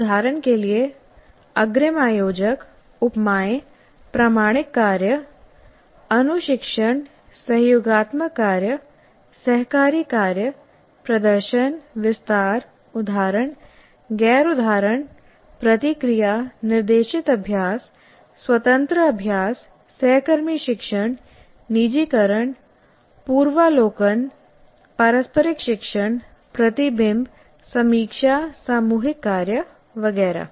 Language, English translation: Hindi, For example, advanced organizers, analogies, authentic tasks, coaching, collaborative work, cooperative work, demonstration, elaboration, examples, non examples, feedback, guided practice, independent practice, peer tutoring, personalization, preview, reciprocal teaching, reflection, review, teamwork, etc